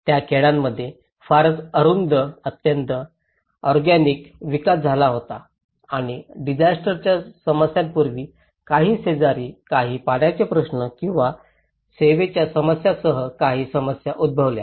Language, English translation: Marathi, Were very narrow, very organic development happened in that particular villages and of course there was also some problems before the disaster issues, with some neighbours issues, with some water issues or the service issues